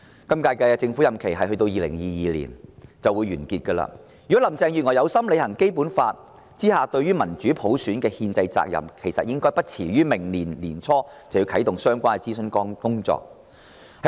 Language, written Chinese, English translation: Cantonese, 今屆政府任期將於2022年完結，如果林鄭月娥有心履行《基本法》下對民主普選的憲制責任，便應最遲在明年年初啟動相關諮詢工作。, The term of the incumbent Government will end in 2022 . If Carrie LAM is sincere in fulfilling her constitutional responsibility of democratic elections through universal suffrage under the Basic Law she should launch the relevant consultation work early next year